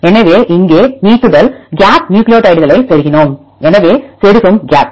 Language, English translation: Tamil, So, deletion gap here we inserted the nucleotides; so insertion gap